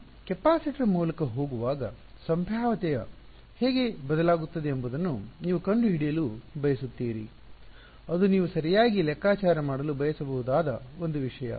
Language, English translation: Kannada, And you want to find out how does the potential vary as I go from go through the capacitor, that is that is one something that you might want to calculate right